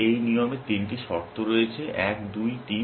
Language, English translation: Bengali, This rule has three conditions 1, 2, 3